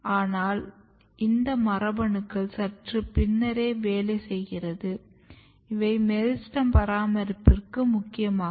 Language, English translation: Tamil, But these genes they are more working slightly later stage, they are more important for maintaining the meristem